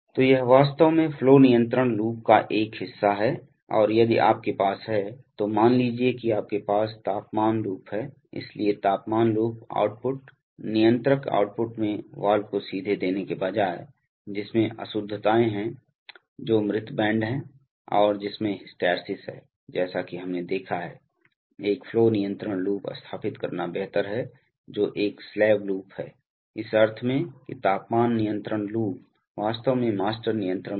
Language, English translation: Hindi, So it is actually a part of the flow control loop generally and if you have a, that is rather than suppose you have a temperature loop, so in the temperature loop output, controller output rather than giving directly to the valve, which has nonlinearities, which has dead bands, which has hysteresis as we have seen, it is better to set up a flow control loop which is a slave loop, in the sense that the temperature control loop is actually the master control loop